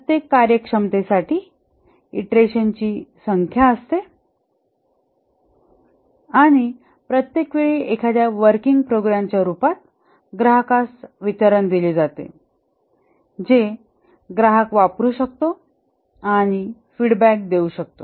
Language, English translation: Marathi, There are number of iterations for each functionality and each time a deliverable is given to the customer in the form of a working program which the customer can use and give feedback